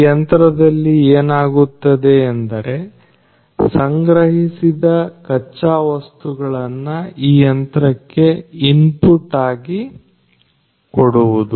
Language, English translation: Kannada, And so, in this machine what is happening is the raw materials are procured and they are put as input to this machine